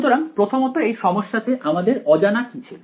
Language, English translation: Bengali, So, first of all in this problem what was unknown